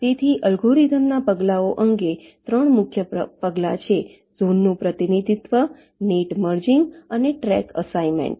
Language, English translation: Gujarati, ok, so, regarding the steps of the algorithm, there are three main steps: zone representation, net merging and track assignment